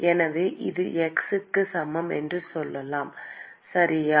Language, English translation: Tamil, So let us say this is x equal to 0, okay